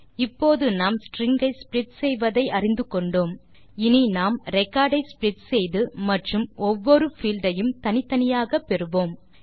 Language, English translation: Tamil, Now that we know how to split a string, we can split the record and retrieve each field separately